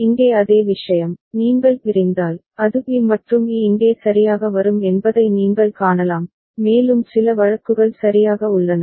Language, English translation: Tamil, The same thing over here, you can see that if you split, it will be b and e will be coming here alright and let us some the cases are fine ok